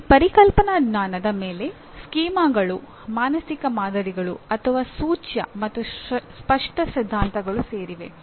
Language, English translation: Kannada, On top of that conceptual knowledge includes schemas, mental models, or implicit and explicit theories